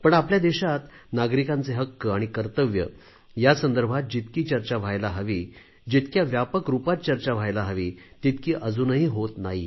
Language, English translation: Marathi, But still in our country, the duties and rights of citizens are not being debated and discussed as intensively and extensively as it should be done